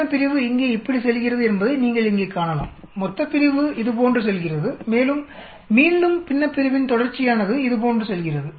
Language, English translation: Tamil, You can see here the numerator goes like this, denominator goes like this and again continuation of numerator goes like this actually